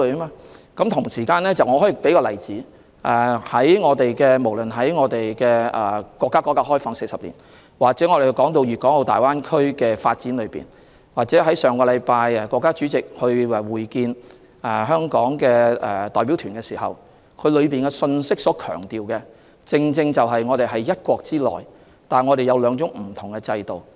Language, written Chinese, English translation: Cantonese, 我可以舉一個例子，不論是說國家改革開放40年、粵港澳大灣區的發展，或上星期國家主席會見香港代表團，當中所強調的信息，正正就是我們是在"一國"之內，但擁有兩種不同制度。, All these are considerations under one country . Let me give an example . Be it the 40 years of reform and opening up of our country the development of the Guangdong - Hong Kong - Macao Greater Bay Area or the meeting last week in which the State President received the Hong Kong delegation there is an important message and that is there are two different systems in one country